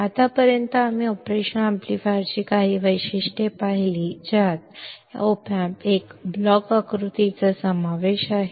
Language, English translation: Marathi, Until now, we have seen a few characteristics of an operational amplifier including the block diagram of an op amp